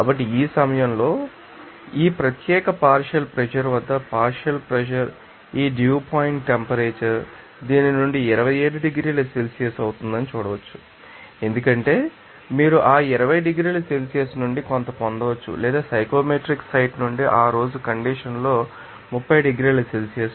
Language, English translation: Telugu, So, at this you know partial pressure at you know in the day that here in this case at this particular partial pressure, it is seen that this the dew point temperature will be 27 degree Celsius from this because you can get also some you know from that you know 20 degrees Celsius or 30 degrees Celsius at that day condition from the psychometric site